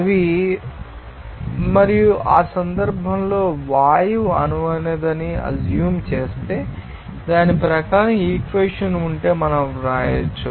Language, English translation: Telugu, They are and in that case, assuming gas is ideal, then according to that we can write if this equation